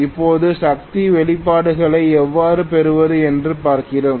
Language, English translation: Tamil, Now, let us see how to get the power expressions